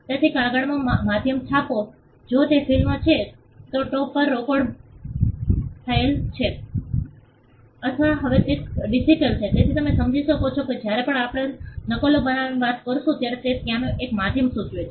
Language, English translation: Gujarati, So, print the medium in paper if it is film it is recorded on tapes or now it is digital, so you will understand that whenever we are talking about making copies it implies a medium being there